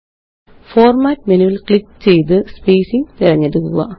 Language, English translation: Malayalam, click on Format menu and choose Spacing